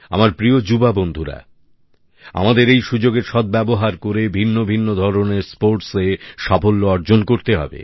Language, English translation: Bengali, My dear young friends, taking advantage of this opportunity, we must garner expertise in a variety of sports